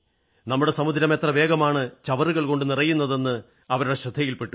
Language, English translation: Malayalam, They were appalled at the way our sea is being littered with garbage